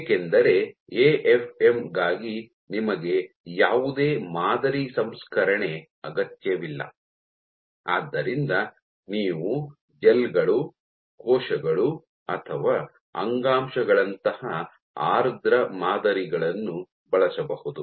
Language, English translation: Kannada, Because for AFM you do not require any sample processing; so, you can deal with wet samples like gels, cells or even tissues